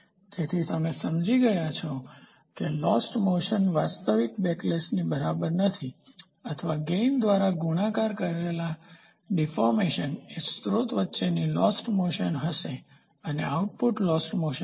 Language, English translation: Gujarati, So, you have understood the lost motion is equal to actual backlash or deformation multiplied by gain will be the lost motion between the source and the output will be the lost motion